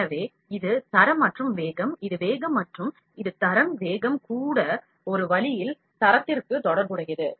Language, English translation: Tamil, So, this is quality and speed, this is speed and this is quality, speed is also related to quality in one way